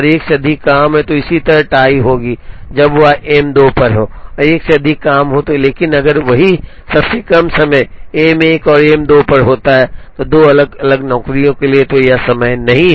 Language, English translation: Hindi, Similarly, tie will happen when, it is on M 2 and more than one job has it, but if the same smallest time happens to be on M 1 and M 2, for 2 different jobs then it is not a time